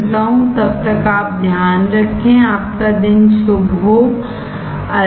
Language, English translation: Hindi, Till then you take care, have a nice day, bye